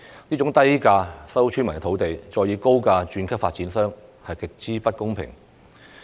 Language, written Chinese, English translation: Cantonese, 這種低價收購村民土地，再以高價把土地轉售予發展商的做法極不公平。, This practice of acquiring land from villagers at lower prices and reselling the land to developers at higher prices is utterly unfair